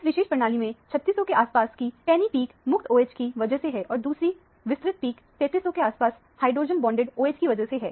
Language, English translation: Hindi, The sharp peak around 3600 is due to the free OH and another broad peak around 3300 is due to the hydrogen bonded OH in this particular system